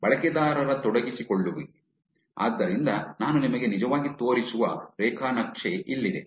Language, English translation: Kannada, User engagement, so, here is the graph that I will actually show you